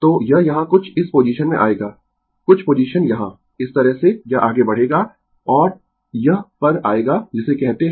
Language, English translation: Hindi, So, it will come to some position here, some position here, this way it will move and it will come to the your what you call